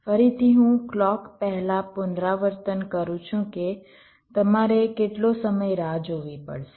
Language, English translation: Gujarati, again i am repeating before clock, how much time you have to wait